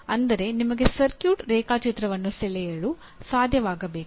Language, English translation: Kannada, That means you should be able to draw a circuit diagram